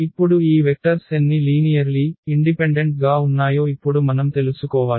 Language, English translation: Telugu, So, what we have to now extract out of these vectors what we have to collect only the linearly independent vectors